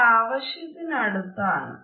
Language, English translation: Malayalam, That is close enough